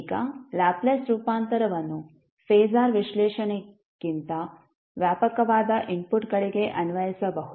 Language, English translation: Kannada, Now Laplace transform can be applied to a wider variety of inputs than the phasor analysis